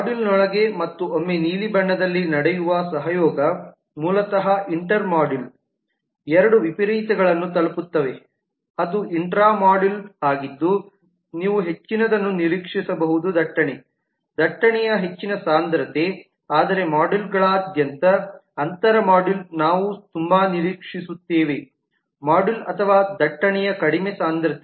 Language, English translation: Kannada, the collaboration that happens within the module and the once in the blue which are basically inter module reach two extremes that is intra module you would expect lot more of traffic, high density of traffic whereas inter module across the modules we will expect very low density of module or traffic